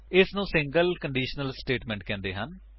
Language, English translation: Punjabi, It is called a single conditional statement